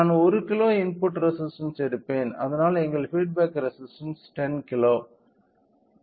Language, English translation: Tamil, So, I will take input resistance of 1 kilo, so that our feedback resistance I go with 10 kilo right